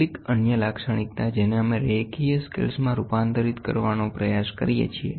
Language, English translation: Gujarati, Some other property from there we try to convert it into linear scales